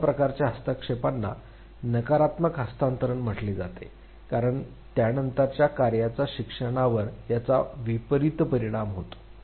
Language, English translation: Marathi, Such type of interferences they are called negative transfer because it is adversely affecting learning of the subsequent task